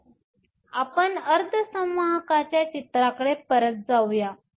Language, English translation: Marathi, So, let us go back to the picture of the semiconductor